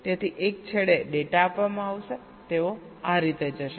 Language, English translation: Gujarati, so data will be for that one and they will go like this